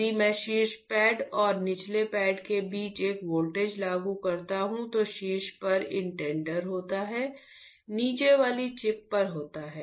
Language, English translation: Hindi, If I apply a voltage between the top pad and the bottom pad, at the top one is on the indenter, the bottom one is on the chip